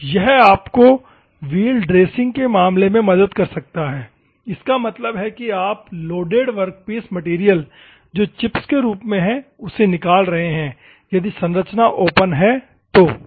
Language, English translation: Hindi, That may help you in terms of the dressing the wheel; that means, that you taking out of the loaded workpiece material in the form of chips, if the structure is open, ok